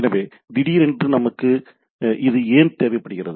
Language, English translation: Tamil, So, why suddenly we require this